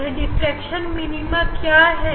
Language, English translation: Hindi, What are those diffraction minima